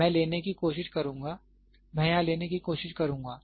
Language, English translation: Hindi, So, I will try to take, I will try to take here